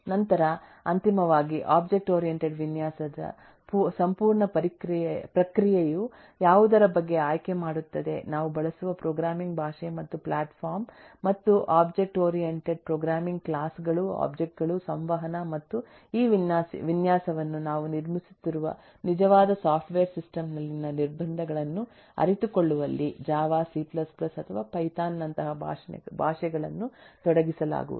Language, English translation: Kannada, then, finally, the whole process of object oriented design also will make choice about what kind of programming language and platform we will use, and object oriented programming will be engaged in actually realising these design of classes, objects, interactions and constraints on the actual software system that we are building into, so which will use some language like java, c plus plus or python, something like that